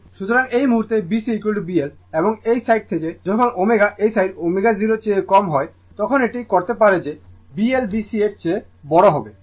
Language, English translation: Bengali, So, at this point your B C is equal to B L right and from the this side you can make out when omega less than omega 0 this side that B L will be greater than B C right